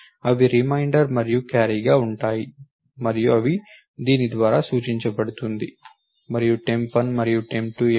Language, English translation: Telugu, They will be a reminder and a carry which is represented by this and what are temp 1 and temp 2